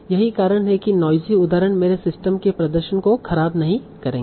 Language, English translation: Hindi, So that's why these noisy examples will not deteriorate the performance of my system